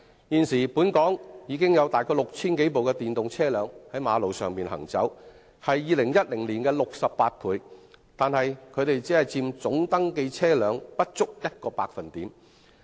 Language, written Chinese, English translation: Cantonese, 現時本港已有大概 6,000 多部電動車輛在道路上行走，是2010年的68倍，但僅佔總登記車輛不足1個百分點。, Therefore vehicles with zero emission such as electric vehicles will be the global trend . Currently 6 000 - plus electric vehicles are running on the roads in Hong Kong which is 68 times that of the number in 2010 but it represents only less than 1 % of the total number of registered vehicles